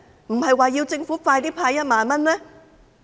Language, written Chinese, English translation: Cantonese, 不是說要政府盡快派發1萬元嗎？, Did they not say that they want the Government to pay out 10,000 as soon as possible?